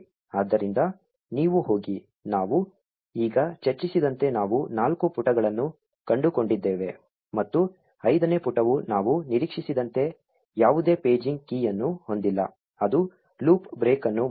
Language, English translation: Kannada, So, there you go, we found four pages as we just discussed, and the fifth page did not contain any paging key as we expected which made the while loop break